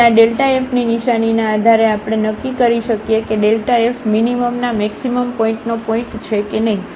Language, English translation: Gujarati, So, based on the sign of this delta f, we can decide whether this is a point of maximum point of minimum